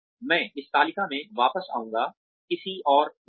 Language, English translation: Hindi, I will come back to this table, another time